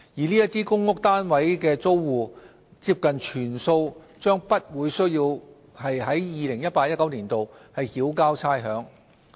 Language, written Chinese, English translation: Cantonese, 這些公屋單位的租戶，接近全數將不需要在 2018-2019 年度繳交差餉。, Almost all the tenants of such public rental housing units need not pay any rates in 2018 - 2019